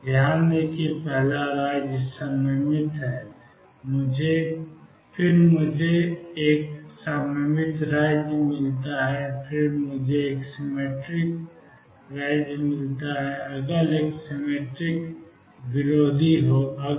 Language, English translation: Hindi, Notice that the first state is symmetric, then I get an anti symmetric state, then I get a symmetric state again, next one will be anti symmetric